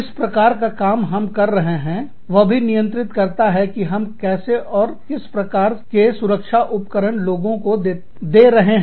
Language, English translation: Hindi, The kind of work, we do, will also govern, how we, what kind of protective gear, we give to our people